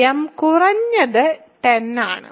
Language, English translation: Malayalam, So, m is at least 10